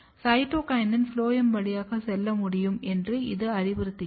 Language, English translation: Tamil, This suggest that cytokinin can move through the phloem